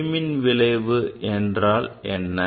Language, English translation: Tamil, What is photoelectric effect